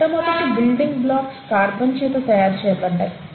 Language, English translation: Telugu, So clearly, the earliest building blocks were formed because of carbon